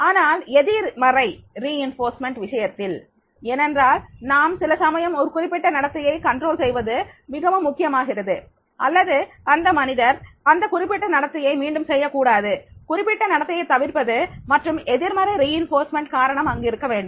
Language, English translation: Tamil, However, in case of the negative reinforcement, because sometimes it is also important to control that particular behavior or that the person should not repeat that particular behavior, avoid the certain behavior and for that purpose, negative reinforcement is to be there